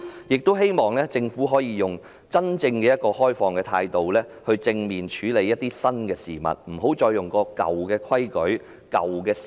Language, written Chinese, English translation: Cantonese, 我也希望政府可以採取真正開放的態度，正面處理新事物，不要再使用舊規矩、舊思維。, I also hope that the Government will adopt a genuinely open attitude to deal with new matters positively without resorting to old rules and old ways of thinking